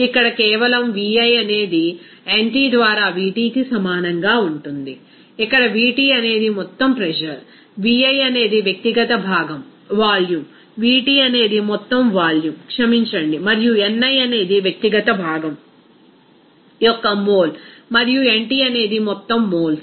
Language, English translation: Telugu, So, here simply Vi that will be equal to Vt into ni by nt, here Vt is total pressure, Vi is the individual component volume, Vt is the total volume sorry and ni is the mole of individual component and nt is the total moles of the total system